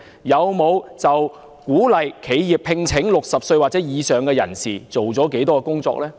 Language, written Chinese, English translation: Cantonese, 他們就鼓勵企業聘請60歲或以上人士做了多少工作呢？, How much work have they done on encouraging enterprises to employ those aged 60 or above?